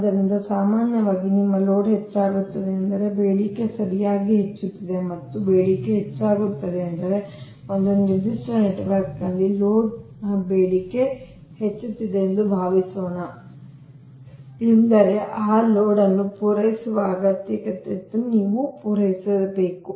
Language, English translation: Kannada, so if load inc load increases, so general, your load increases means demand is increasing, right, and demand increases means, suppose in a particular network load demand is increasing means that you need to supply the need to supply that load